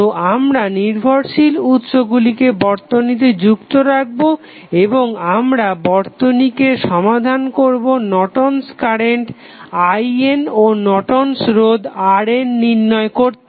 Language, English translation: Bengali, So, we will keep the dependent sources in the network and we will solve the circuits to find out the value of I N that is Norton's current and R N that is Norton's resistance